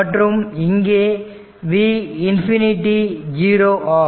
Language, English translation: Tamil, And I told you that v minus infinity will be 0